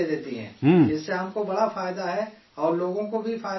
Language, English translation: Urdu, It is of great benefit to me and other people are also benefited by it